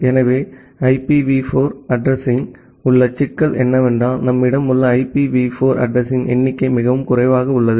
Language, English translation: Tamil, So, the problem which we have with IPv4 addressing is that the number of IPv4 address that we have they are very limited